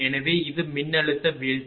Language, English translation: Tamil, So, this is the voltage drop